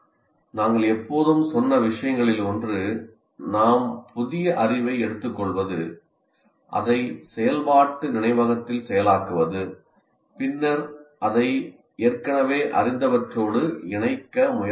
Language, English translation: Tamil, One of the things we always said, we build our new, we take the new knowledge, process it in the working memory, and then try to link it with what we already knew